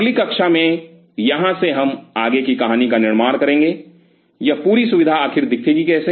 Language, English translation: Hindi, So, from here in our next class, we will further build up the story, how this whole facility will eventually look